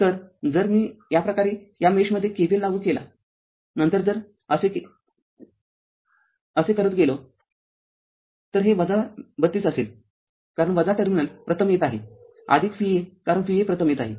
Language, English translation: Marathi, So, if i if we apply KVL like this in this in this mesh, then if you move like this if you move like this, it will be minus 32 because minus terminals is coming first plus V a because V a is coming first right